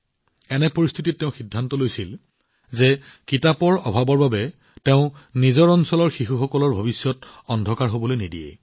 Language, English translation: Assamese, In such a situation, he decided that, he would not let the future of the children of his region be dark, due to lack of books